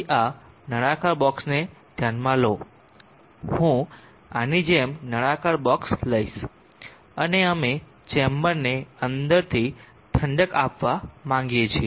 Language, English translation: Gujarati, So consider this cylindrical box, I will take a cylindrical box like this, and we would like to cool the chamber inside